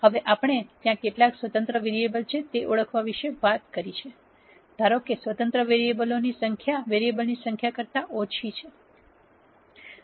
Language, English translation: Gujarati, Now that we have talked about identifying how many independent variables are there; assume that the number of independent variables are less than the number of variables